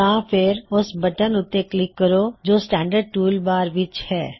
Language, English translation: Punjabi, Alternately, click on the button in the standard tool bar